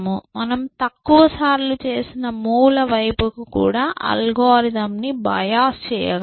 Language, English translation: Telugu, So, I can also bios the algorithm towards moves, which have been made less often essentially